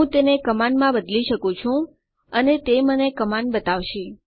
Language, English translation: Gujarati, I can change it to command and it will show me the command